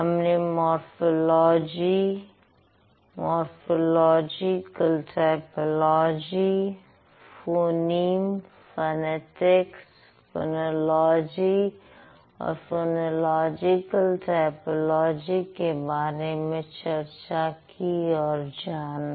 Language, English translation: Hindi, So, we did discuss what is morphology, morphological typology, then we discussed what is phonyme, what is phonetics, what is phonology, and we also moved on to phonological typology briefly